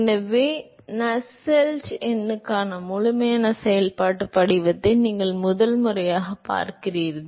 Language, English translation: Tamil, So, the first time you are seeing a complete functional form for Nusselt number